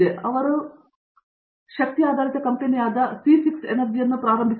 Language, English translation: Kannada, So, they started Sea6 Energy, an energy based company